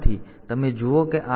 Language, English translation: Gujarati, So, you see that these locations